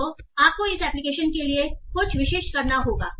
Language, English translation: Hindi, So you have to do something especially for this application